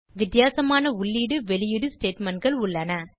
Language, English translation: Tamil, Also there is a difference in output and input statements